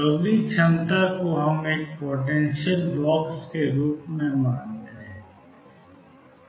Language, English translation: Hindi, So, the next potential we consider as a finite box